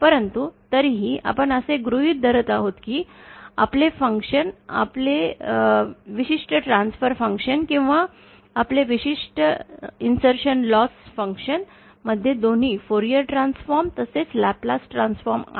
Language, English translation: Marathi, But anyway, we are given that our function, our particular transfer function or our particular insertion loss function has both the Fourier transform as well as the Laplace transform